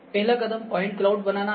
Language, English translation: Hindi, The first step is the point cloud